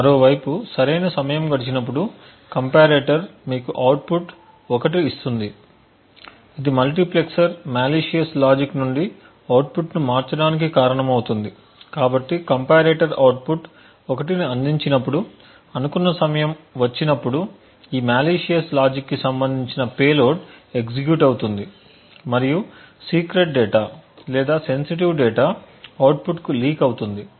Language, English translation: Telugu, On the other hand when the right amount of time has elapsed the comparator would give you an output of 1 which causes the multiplexer to switch the output from that of the malicious logic, therefore when the comparator provides an output of 1 that is after the specified time has elapsed then the payload corresponding to this malicious logic gets executed and secret or sensitive data is leaked to the output